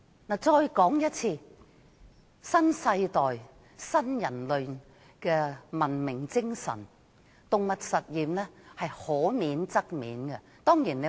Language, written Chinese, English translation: Cantonese, 我重申，按新世代新人類的文明精神，動物實驗可免則免。, Let me reiterate according to the spirit of new human civilization animal experiments should be avoided as far as possible